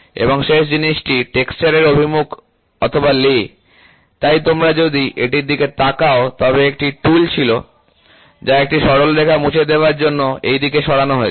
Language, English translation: Bengali, And the last thing lay or direction of texture, so if you look at it there was a tool, which has moved in this direction to clear a straight line